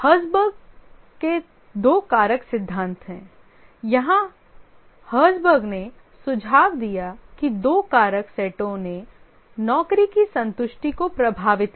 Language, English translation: Hindi, The Herzberg's two factor theory, here Herzberg suggested that two sets of factor affected job satisfaction